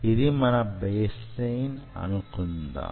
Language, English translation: Telugu, so this is your baseline, ok